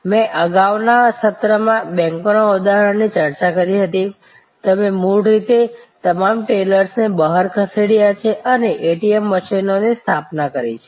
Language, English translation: Gujarati, I discussed in a previous session, the example of banks, you have originally moved all the tailors out and installed ATM machines